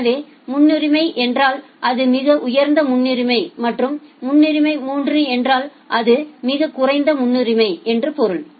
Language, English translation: Tamil, So, priority 1 means it is the highest priority and priority 3 means it is the lowest priority